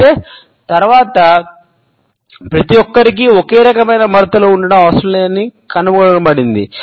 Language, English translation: Telugu, Later on, however, it was found that it is not necessary that everybody has the similar type of wrinkles